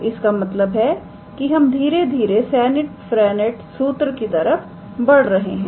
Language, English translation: Hindi, So, the thing is we are slowly moving towards Serret Frenet formula, alright